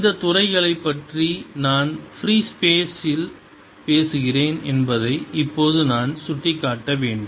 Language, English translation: Tamil, i must point out right now that i am talking about these fields in free space